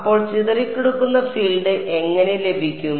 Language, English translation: Malayalam, So, how to get the scattered field